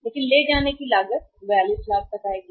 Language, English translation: Hindi, But the carrying cost will go up to 42 lakhs